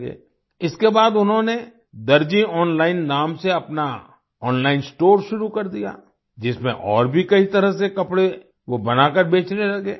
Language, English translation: Hindi, After this he started his online store named 'Darzi Online' in which he started selling stitched clothes of many other kinds